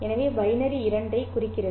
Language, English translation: Tamil, So binary stands for two